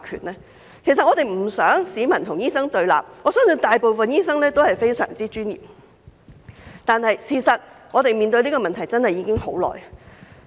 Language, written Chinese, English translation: Cantonese, 我們不想市民與醫生對立，我相信大部分醫生都非常專業，但我們面對這個問題真的已經很久了。, It is not our wish to see doctors standing on the opposite side of the people as I believe most of the doctors are highly professional . However this issue has lingered for a long time